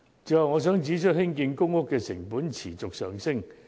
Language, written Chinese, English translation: Cantonese, 最後，我想指出，興建公屋的成本持續上升。, Last but not least I wish to point out that the construction cost for PRH continues to rise